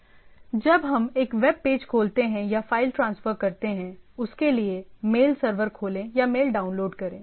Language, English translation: Hindi, So, when we open a web page or transfer a file, open the mail server or download mail or look at the mail server